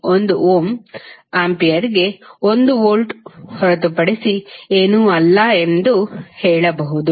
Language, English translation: Kannada, You will say 1 Ohm is nothing but 1 Volt per Ampere